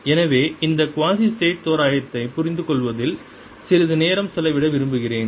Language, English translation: Tamil, so i want to spend some time in understanding this quasistatic approximation